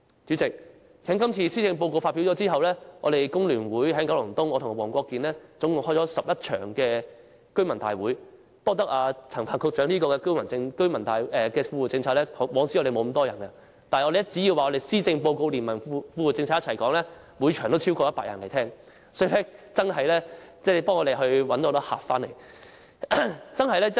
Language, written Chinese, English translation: Cantonese, 主席，施政報告發表後，我們工聯會和黃國健議員在九龍東召開了共11場居民大會，我們也要感謝陳帆局長的富戶政策，因為以往從沒有這麼多市民出席大會，但只要我們將施政報告連同富戶政策一起討論，每場都有超過100人參加，所以富戶政策真的為我們吸引了很多市民。, President after the presentation of the Policy Address we from FTU and Mr WONG Kwok - kin have convened 11 residents meetings in total in Kowloon East . We have to thank Secretary Frank CHAN for his Well - off Tenants Policies because we have never seen so many people attend such meetings . However more than 100 people were attracted to every meeting so long as a joint discussion of the Policy Address and the Well - off Tenants Policies were held